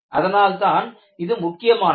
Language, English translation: Tamil, You know, that is what is important